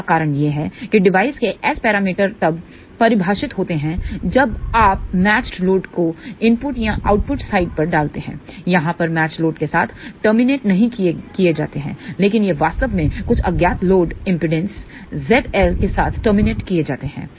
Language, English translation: Hindi, The reason for that is the S parameters of a device are defined when you put match load at the input or output side, over here it is not terminated with the match load; but it is actually terminated with some unknown load impedance Z L